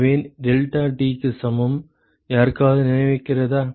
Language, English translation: Tamil, So, deltaT that is equal to, does anyone remember